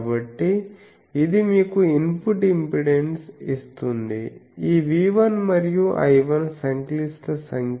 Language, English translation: Telugu, So, that will give you the input impedance very correctly remember this V 1 and I 1 are complex numbers